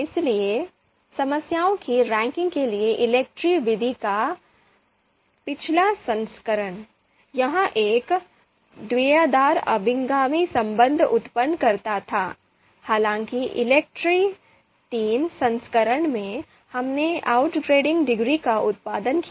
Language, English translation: Hindi, So ELECTRE II, the previous version of ELECTRE method for ranking problems, it you know used to you know it used to produce you know a binary outranking relation; however, in the ELECTRE III version, we produced outranking degrees